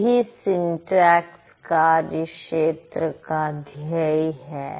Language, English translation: Hindi, So, that's the aim of this domain called syntax